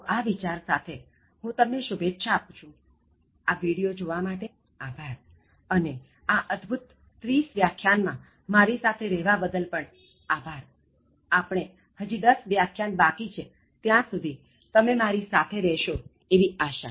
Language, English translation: Gujarati, So, with this thought, let me wish you all the best in all your endeavors and thank you so much for watching this video and thank you so much for being with me for this wonderful 30 lectures, we have 10 more and I hope that you stay with me till then, thanks again